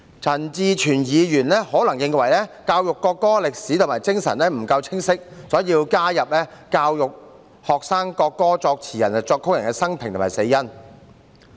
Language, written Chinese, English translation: Cantonese, 陳志全議員可能認為教育國歌的歷史和精神不夠清晰，所以加入教育學生國歌作詞人和作曲人的生平及死因。, Mr CHAN Chi - chuen probably believes that it is not clear enough to merely propose teaching the history and spirit of the national anthem and thus he proposes the addition of educating the students on the biography and cause of death of the lyricist and composer of the national anthem